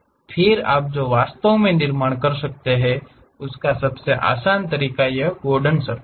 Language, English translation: Hindi, Then the easiest way what you can really construct is this Gordon surfaces